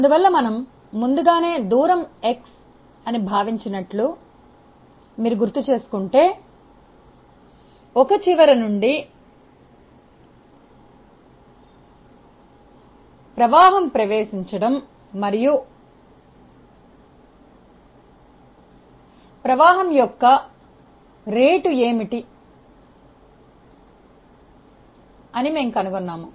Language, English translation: Telugu, So, if you recall that we earlier considered like at a distance say x from one end and we found that what is the rate of flow entering and rate of flow leaving